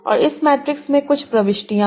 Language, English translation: Hindi, And this matrix has certain entries